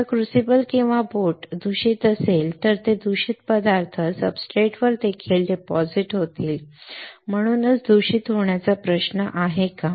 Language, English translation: Marathi, If the crucible or boat is contaminated, that contamination will also get deposited on the substrate that is why there is a contamination issues right